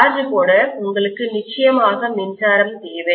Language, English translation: Tamil, For charging, you need electricity for sure